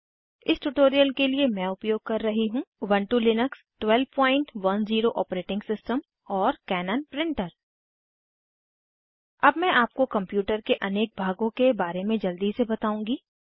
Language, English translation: Hindi, For this tutorial, Im using Ubuntu Linux 12.10 OS and Cannon printer Let me quickly introduce you to the various components of a computer